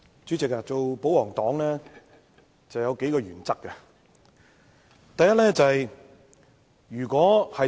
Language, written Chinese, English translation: Cantonese, 主席，當保皇黨有數個原則。, President there are a few principles that the royalists must adhere to